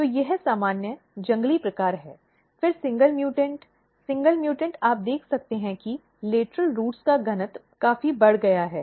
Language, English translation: Hindi, So, this is normal, wild type, then single mutant; single mutant, you can see that density of lateral roots are significantly increased